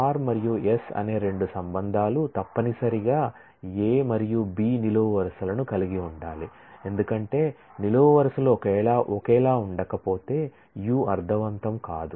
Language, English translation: Telugu, The 2 relations r and s must have the same set of columns A and B because, if the columns are not same, then the union does not make sense